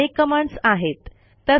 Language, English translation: Marathi, There are many more commands